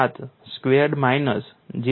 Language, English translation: Gujarati, 7 exponential minus 0